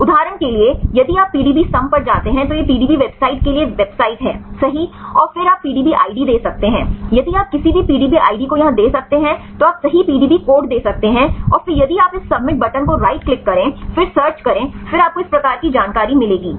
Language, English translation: Hindi, For example, if you go to the PDB sum this is website for the PDBsum right go to the websites and then you can give the PDB id right if you can give any PDB id here right you can give the PDB code right and then if you click this submit button right then search then you will get this type of information